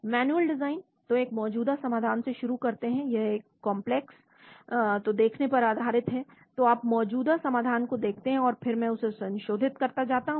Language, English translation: Hindi, Manual design, so start from an existing solution; it is consisting of the visualization of a complex , so you look at existing solution and then I keep modifying